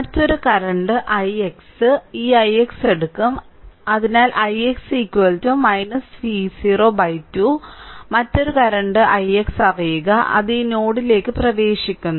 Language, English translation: Malayalam, Another current say i x we will take this i x so, we know i x is equal to minus V 0 by 2 another current i x, it is entering into this node